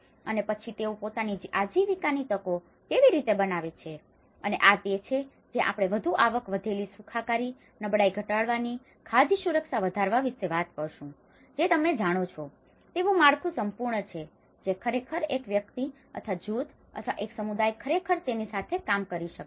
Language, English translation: Gujarati, And then how they create their own livelihood opportunities and this is where we talk about the more income increased, wellbeing, reduce vulnerability, increase food security you know, like that there is whole set of framework, which actually an individual or a group or a community can actually work with it